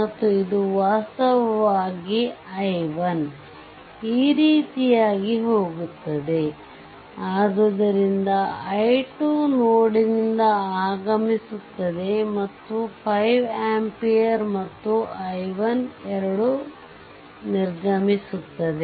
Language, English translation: Kannada, So, if you look into that, therefore this i 2 current entering at node a, so the and 5 ampere and i 1 both are leaving